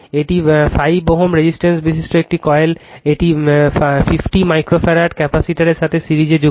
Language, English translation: Bengali, A coil having a 5 ohm resistor is connected in series with a 50 micro farad capacitor